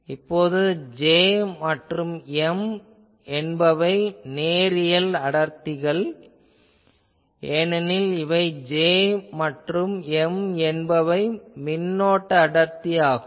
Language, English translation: Tamil, Now, if J and M represent linear densities because these J and M we assume current density